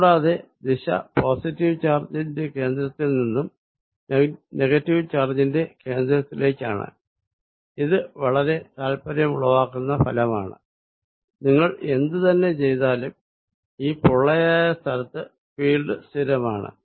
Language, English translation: Malayalam, And it is direction is from the centre of the positive charge towards the centre of the negative, this is very interesting result no matter what you do field inside is constant in this hollow region